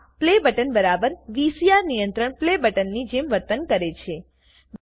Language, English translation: Gujarati, This Play button behaves exactly like the VCR control Play button